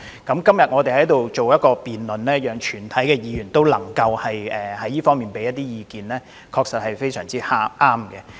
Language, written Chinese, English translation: Cantonese, 今天的辯論讓全體議員就這方面提出意見，確實非常合適。, It is indeed very appropriate to have a debate today to allow all Members to express their views on the issue